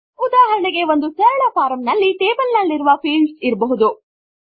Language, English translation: Kannada, For example, a simple form can consist of fields in a table